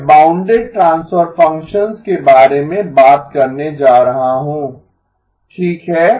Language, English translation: Hindi, I am going to talk about bounded transfer functions okay